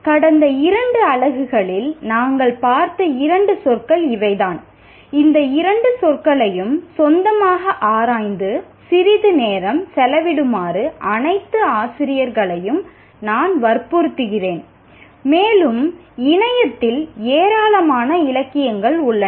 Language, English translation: Tamil, These are the two words that we have looked at in the last unit and I strongly urge all teachers to spend some time explore on their own these two words and there is a tremendous amount of literature available on the net